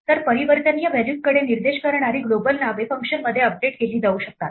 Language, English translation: Marathi, So, global names that point to mutable values can be updated within a function